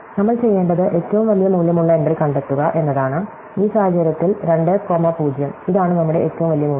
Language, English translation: Malayalam, So, what we have to do is find the entry with the largest value, in this case ma 0, this is our largest value